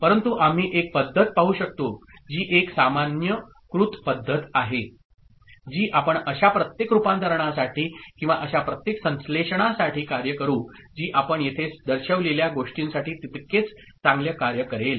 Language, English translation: Marathi, But, we can look at a method which is a generalized method, which we will work for every such conversion or every such synthesis kind of thing, which will work equally well for what we have shown here